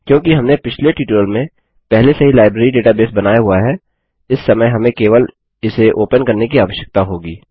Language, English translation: Hindi, Since we already created the Library database in the last tutorial, this time we will just need to open it